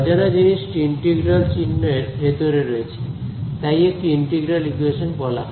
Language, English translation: Bengali, The unknown is sitting inside an integral sign that is why it is called integral equation